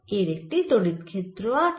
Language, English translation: Bengali, this has an electric field